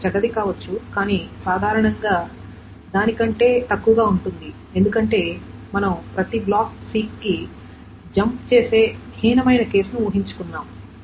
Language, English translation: Telugu, And it can be bad but generally it is lesser than that because we have assumed the worst case that every block jumps to is a sick